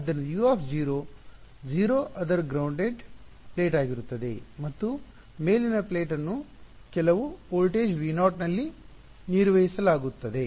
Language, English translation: Kannada, So, U of 0 is going to be 0 its a grounded plate and the upper plate is maintained at some voltage V naught